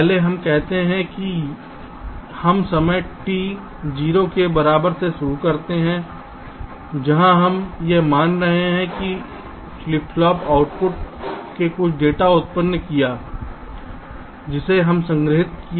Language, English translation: Hindi, lets say: lets start from time t equal to zero, where we are assuming that this flip pop output has generated some data that has to be stored here